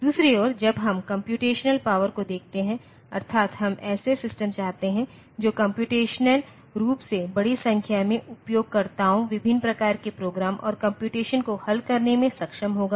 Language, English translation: Hindi, On the other hand, when we are looking for computational power, that is, we want systems that will computationally, it will be able to solve a large number of users, different types of programs and computations